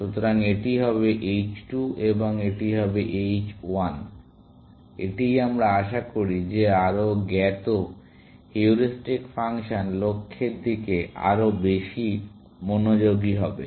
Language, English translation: Bengali, So, this would be h 2 and this would be h 1; this is what we expect, that the more informed heuristic function will be more focused towards the goal